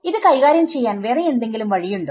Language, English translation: Malayalam, That is one way of dealing with it